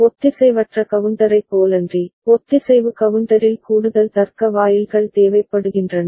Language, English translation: Tamil, Unlike asynchronous counter, additional logic gates are required in synchronous counter